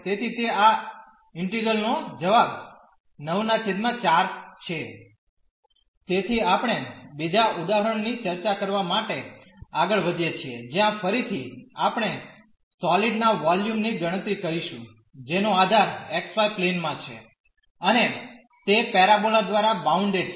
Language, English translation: Gujarati, So, we move further to discuss another example where again we will compute the volume of the solid whose base is in the xy plane, and it is bounded by the parabola